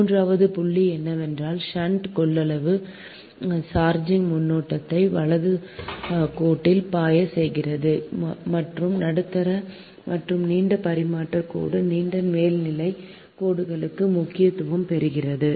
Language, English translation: Tamil, and third point is the shunt capacitance causes charging current to flow in the line right and assumes importance for medium and long transmission line, long overhead lines